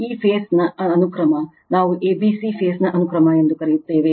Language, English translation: Kannada, This phase sequence, we call a b c phase sequence right we call a b c phase sequence